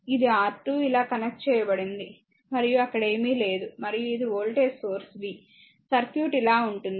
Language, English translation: Telugu, Also it is it is your R 2 connected like this and nothing is there, and this is your voltage source v, the circuit will look like this , right